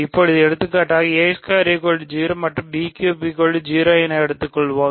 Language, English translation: Tamil, So, for example, let us take 4 and 3 ok